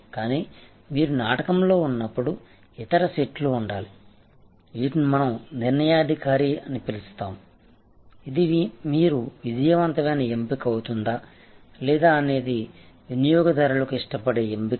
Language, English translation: Telugu, But, once you are in the play, then there will be other sets, which we are calling determinant, which will determine that whether you will be the successful choice the preferred choice for the customer or not